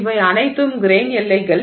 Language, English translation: Tamil, So, all these are grain boundaries